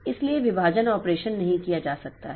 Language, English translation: Hindi, So, the division operation cannot be carried out